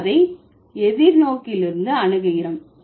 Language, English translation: Tamil, We approach it from the other way around perspective